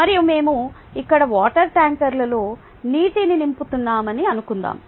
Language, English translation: Telugu, and let us say that we are filling water in the water tanker here